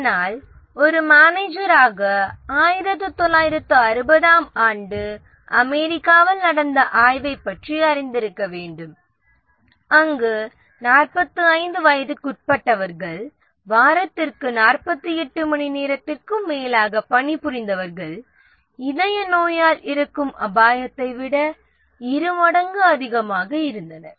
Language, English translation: Tamil, But then as a manager we must be aware of the 1960 study in US where people under 45 who worked more than 48 hours a week had twice the risk of death from coronary heart ditches